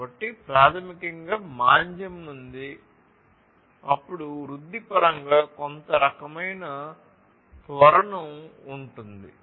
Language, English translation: Telugu, So, basically from the recession, then there will be some kind of acceleration in terms of the growth